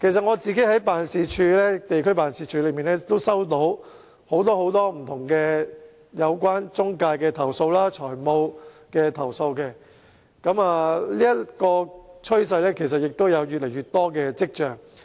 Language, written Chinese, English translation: Cantonese, 我在地區辦事處也收到很多不同有關中介和財務的投訴，這種趨勢亦有越趨急劇的跡象。, So in the end even their homes are taken away families destroyed and tragedies happen . I have received many complaints about intermediaries and financial agencies in my ward office and the trend shows a sign of rapid increase